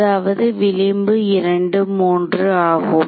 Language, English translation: Tamil, So, 1 and this is 2 3 minus